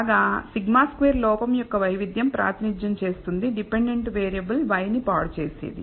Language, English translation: Telugu, Whereas sigma squared represent the variance of the error that corrupts the dependent variable y